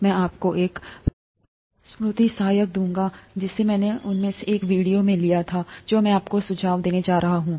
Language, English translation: Hindi, I’ll give you a mnemonic, which I picked up from one of the, one of the videos that I’m going to suggest to you